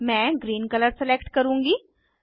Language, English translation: Hindi, I will select green colour